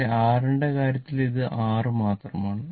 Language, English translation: Malayalam, But, in the case of R this is this is only R right